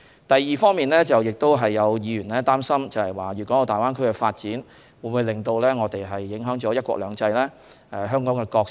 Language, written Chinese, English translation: Cantonese, 第二，有議員擔心粵港澳大灣區的發展會否影響"一國兩制"和香港的角色？, Secondly some Members are worried that the development of the Greater Bay Area will affect the principle of one country two systems and the role of Hong Kong